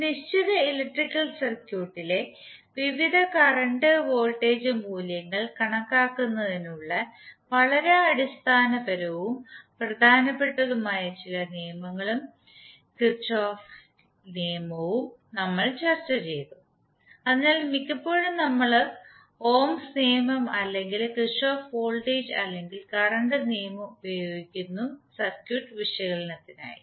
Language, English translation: Malayalam, Thereafter we discuss some law and Kirchhoff law which are the very basic and very important laws for the calculation of various current and voltage values in a given electrical circuit, so most of the time you would be using either ohms law or the Kirchhoff voltage or current law in your circuit analysis